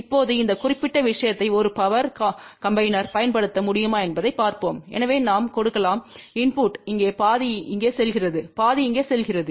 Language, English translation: Tamil, Now let us see whether this particular thing can be use as a power combiner, so we can give input here half goes here half goes here